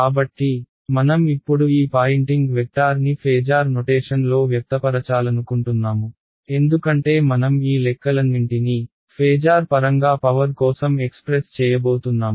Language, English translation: Telugu, So, I want to now find out, I want to express this Poynting vector in a phasor notation because I am going to do all my calculations in phasor I should have an expression for power in terms of the phasors right